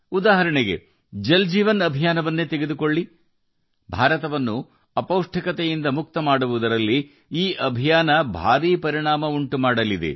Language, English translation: Kannada, For example, take the Jal Jeevan Mission…this mission is also going to have a huge impact in making India malnutrition free